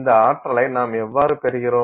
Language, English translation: Tamil, So, so we get some energy